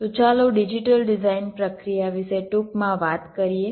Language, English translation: Gujarati, so lets briefly talk about the digital design process